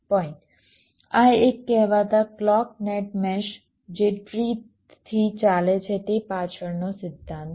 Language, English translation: Gujarati, this is the principle behind the so called clock net mesh driven by a tree